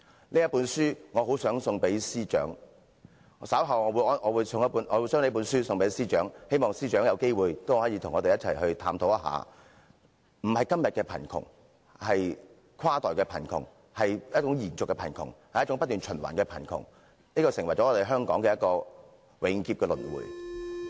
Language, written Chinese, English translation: Cantonese, 我很想把這本書送給司長，我稍後會把這本書送給司長，希望司長有機會也可以與我們一起探討，並非今天的貧窮，而是跨代貧窮，一種延續的貧窮，一種不斷循環的貧窮，成為香港永劫的輪迴。, I do want to give this book to the Financial Secretary and I will do so in a while . I hope the Financial Secretary will have the chance to look into poverty with us not the kind of poverty that stays only today but cross - generational poverty a kind of lingering poverty recurrent poverty which resurrects relentlessly in Hong Kong